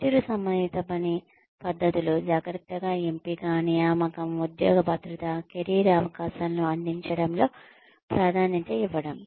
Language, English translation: Telugu, Performance related work practices include, careful selection, recruitment, job security, emphasis on providing career opportunities